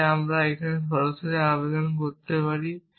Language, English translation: Bengali, So, now I can apply more directly essentially